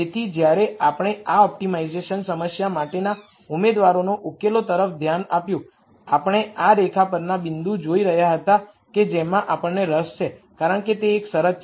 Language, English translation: Gujarati, So, when we looked at candidate solutions for this optimization problem we were looking at the points on this line that that we are interested in because that is a constraint